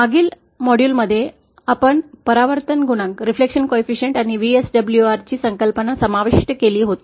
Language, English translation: Marathi, In the previous module we had covered the concept of reflection coefficient and VSWR